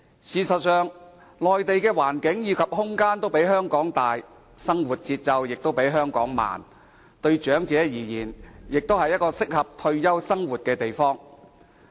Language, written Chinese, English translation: Cantonese, 事實上，內地的環境及空間均比香港大，生活節奏亦比香港慢，對長者而言，是適合退休生活的地方。, In fact the Mainland is much larger and spacious as a place of living than Hong Kong . Its pace of living is also slower than that of Hong Kong . To the elderly it is a desirable place for retirement